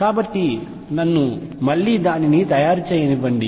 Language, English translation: Telugu, So, let me again make it